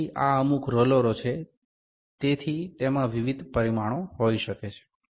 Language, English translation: Gujarati, So, these are certain rollers, so it can have various dimensions